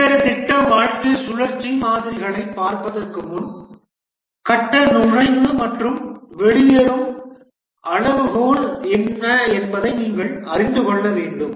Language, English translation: Tamil, Before we look at the different project lifecycle models, we must know what is the phase entry and exit criteria